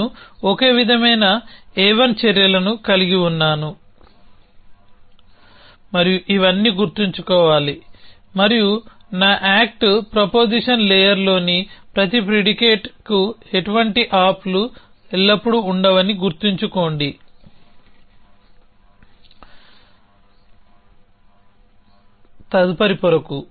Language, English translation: Telugu, So, I have the same A 1 set of actions and remember all these no ops are always there for every predicate in my act proposition layer any proposition that proposition layer there is a no op action which takes it power to the next layer